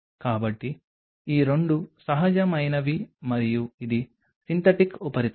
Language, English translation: Telugu, So, these 2 are the natural and this is the synthetic substrate